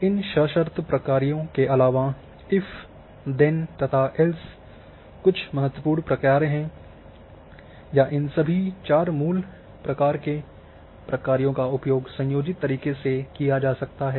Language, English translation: Hindi, Also in addition to this conditional functions if,then,else another important thing that all these four basics kinds of functions can we use in combination as well